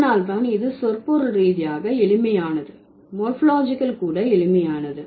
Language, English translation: Tamil, So, that is why this is semantically simple, morphologically is also simple